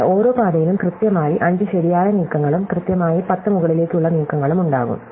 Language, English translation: Malayalam, But every path will have exactly 5 right moves and exactly 10 up moves, right